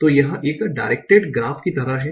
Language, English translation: Hindi, So it's kind of a inducted graph